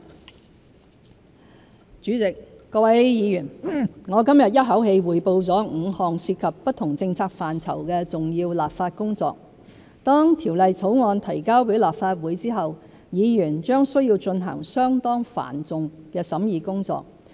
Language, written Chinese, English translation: Cantonese, 結語主席，各位議員，我今日一口氣匯報了5項涉及不同政策範疇的重要立法工作，當條例草案提交予立法會後，議員將須進行相當繁重的審議工作。, Conclusion President and Members I reported in one go today five major legislative tasks involving different policy areas . Once the bills are submitted to the Legislative Council Members will have to shoulder the onerous task of scrutinizing them